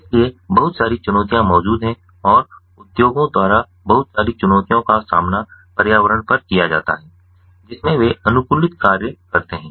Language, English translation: Hindi, so lot of ah challenges exist, ah, ah, and lot of challenges are posed by the industries on the ah, ah on the environment in which they ah they are, they work